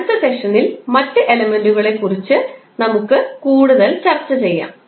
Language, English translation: Malayalam, In next session, we will discuss more about the other elements